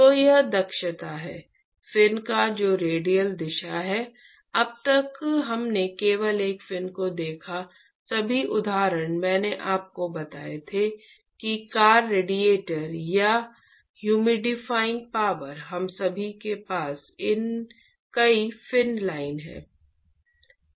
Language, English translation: Hindi, So, that is the efficiency of the fin which is in the radial direction, so far we looked at only one fin in fact all the examples I told you whether car radiator or the humidifying power we all have many fins life